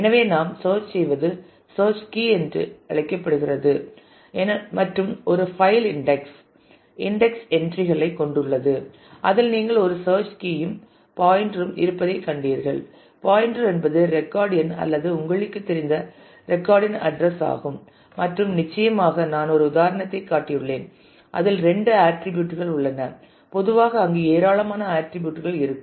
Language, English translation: Tamil, So, what we search on is called the search key and an index file consists of the index entries as you have just seen it has a search key and the pointer, pointer is the record number or the internal you know address of the record where it occurs and certainly I have shown an example where there just two attributes in general there will be a large number of attributes